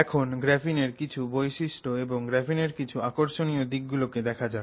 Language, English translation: Bengali, So, now let's look at some properties of graphene and some interesting aspects associated with graphene